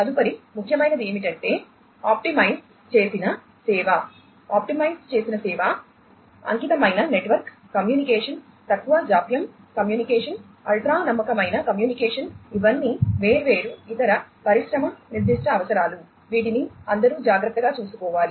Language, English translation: Telugu, What is next important is the optimized service, optimized service, dedicated network communication, low latency communication, ultra reliable communication, these are the different other industry specific requirements that will all have to be, you know, care to